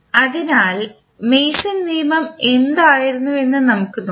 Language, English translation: Malayalam, So, let us see what was the Mason rule